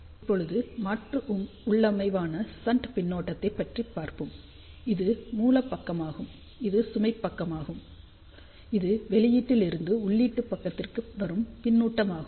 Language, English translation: Tamil, Let just look an alternate configuration where shunt feedback is used, you can again see this is the source side, this is the load side and this is the feedback from the output to the input side